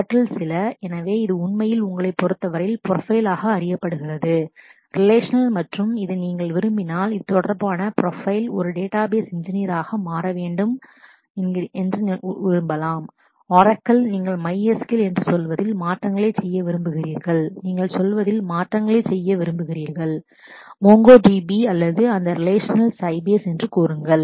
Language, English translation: Tamil, And some of that, so this these are the about actually in terms of you know profiles that are related to applications and this is a profile which is related to, if you really want to become a database engineer in a sense that you want to you know make changes in Oracle, you want to make changes in say MySQL, you want to make changes in say MongoDB or say that relation will say the Sybase